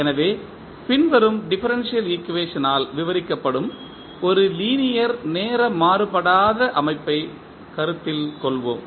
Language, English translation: Tamil, So, let us consider one linear time invariant system which is described by the following differential equation